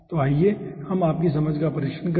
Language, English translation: Hindi, okay, so let us test your understanding